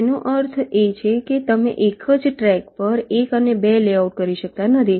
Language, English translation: Gujarati, it means you cannot layout one and two on the same track